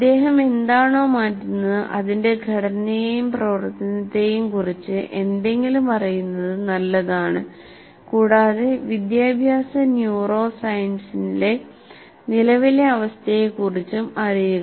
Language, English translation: Malayalam, It is good to know something about the structure and functioning of what is changing and also be familiar with the current state of educational neuroscience